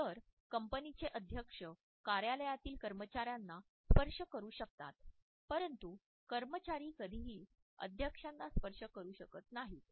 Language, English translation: Marathi, So, the president of the company may touch the office employees, but the employees would never touch the president